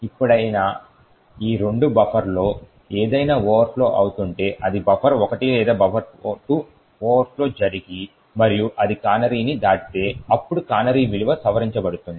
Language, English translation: Telugu, Now whenever, if any of these two buffers overflow, that is buffer 1 or buffer 2 overflows and it crosses the canary, then the canary value will be modified